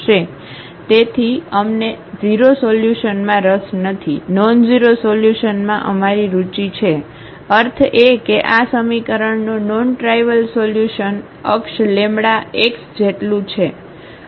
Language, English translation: Gujarati, So, we are not interested in the 0 solution, our interested in nonzero solution; meaning the non trivial solution of this equation Ax is equal to lambda x